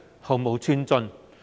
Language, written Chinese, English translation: Cantonese, 毫無寸進。, There is no progress at all